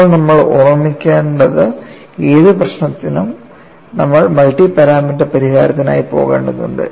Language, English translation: Malayalam, Now, what we will have to keep in mind is, for any problem, you will have to go in for multi parameter solution